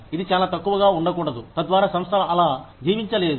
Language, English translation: Telugu, It should not be too little, so that, the organization does not survive